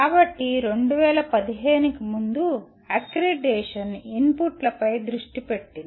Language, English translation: Telugu, So the accreditation prior to 2015 was the focus was on inputs